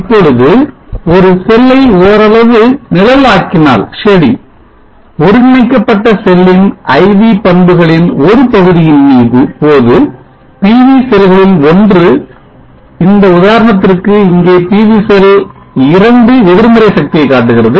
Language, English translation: Tamil, Now if one of the cell is partially shaded we see that during a portion of the IV characteristic of the combine cell one of the PV cell, PV cell 2 here for this example shows negative power indicating that the PV cell 2 is acting like a sink